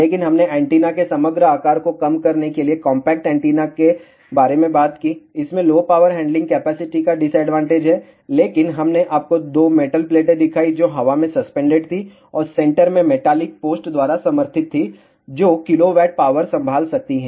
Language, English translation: Hindi, But, we talked about compact antenna to reduce the overall size of the antenna, it has the disadvantage of low power handling capacity, but we showed you 2 metallic plates which was suspended in the air and supported by metallic post at the centre that can handle kilowatts of power